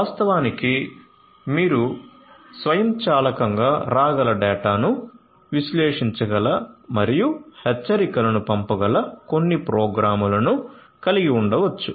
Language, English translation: Telugu, In fact, you could have some programmes which can autonomously which can analyze the data that are coming in and can send alerts